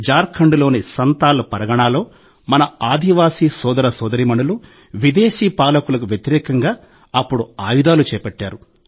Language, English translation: Telugu, Then, in Santhal Pargana of Jharkhand, our tribal brothers and sisters took up arms against the foreign rulers